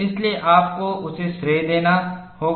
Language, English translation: Hindi, That is why you have to give him credit